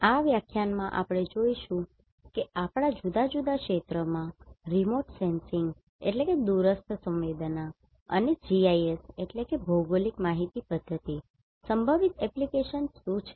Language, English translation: Gujarati, In this lecture we will see what are the potential application of remote sensing and GIS in our different areas